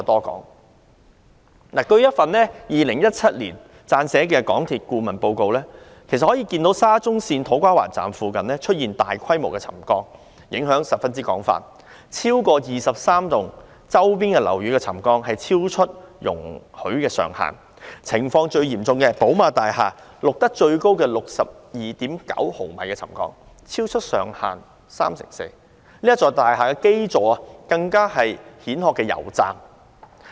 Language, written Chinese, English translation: Cantonese, 根據一份於2017年為港鐵公司撰寫的顧問報告，其實可以看到沙中線土瓜灣站附近出現大規模沉降，影響範圍十分廣，超過23幢周邊樓宇的沉降超出容許上限，情況最嚴重的寶馬大廈錄得最高 62.9 毫米的沉降，超出上限三成四，該大廈的基座更是一個蜆殼公司的油站。, According to a consultancy report prepared for MTRCL in 2017 it can actually be seen that large - scale settlement had occurred in the vicinity of To Kwa Wan Station of SCL and the affected area is very extensive . More than 23 surrounding buildings had experienced settlement exceeding the permitted threshold and in the most serious case the highest settlement reading of 62.9 mm was recorded at BMW House 34 % in excess of the threshold and the base of this building is a filling station of the Shell Hong Kong Limited